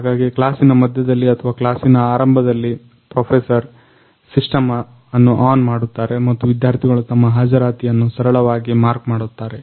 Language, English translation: Kannada, So, in the middle of the class or in the beginning of the class basically, professor will turn on the system and then students will students can easily mark their attendance